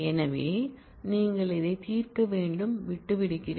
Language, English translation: Tamil, So, again I will leave that for you to solve